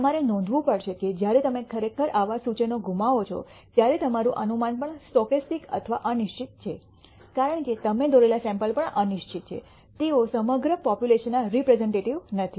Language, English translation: Gujarati, You have to note that when you actually lose such inferences, your inference is also stochastic or uncertain because the sample that you have drawn are also uncertain; they are not representative of the entire population